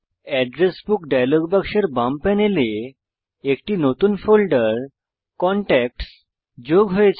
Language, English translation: Bengali, In the left panel of the Address Book dialog box, a new folder contacts has been added